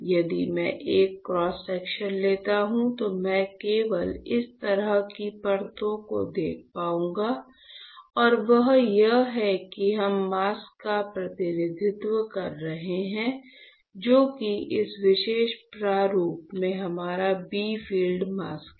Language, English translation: Hindi, If I take a cross section I would be able to only see this kind of layers right and that is why we have been representing the mask, which is our bright field mask in this particular format